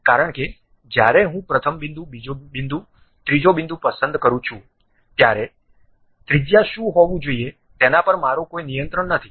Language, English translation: Gujarati, Because when I pick first point, second point, third point, I do not have any control on what should be the radius I cannot control it